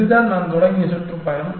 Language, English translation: Tamil, This is the tour that I started with